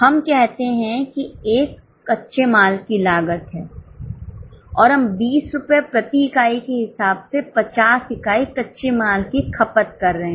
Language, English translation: Hindi, Let us say it is a raw material cost and we are consuming 50 units of raw material at rupees 20 per unit